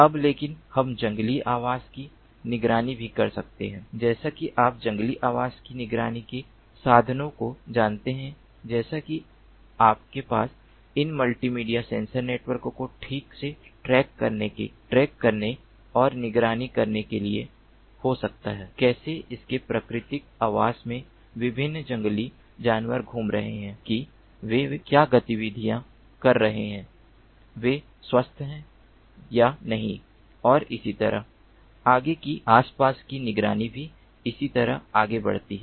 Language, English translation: Hindi, like you know, wild habitat monitoring means, like ah, you can have these multimedia sensor networks to track precisely and monitor how the different wild animals in their natural habitat are moving, how, what activities they are doing, whether they are healthy or not, and so on and so forth